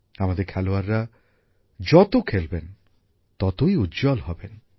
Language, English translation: Bengali, The more our sportspersons play, the more they'll bloom